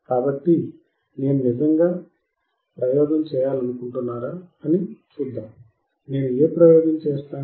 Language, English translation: Telugu, So, let us see if I really want to perform the experiment, and what experiment I will do